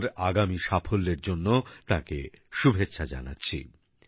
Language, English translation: Bengali, I wish her all the best for her future endeavours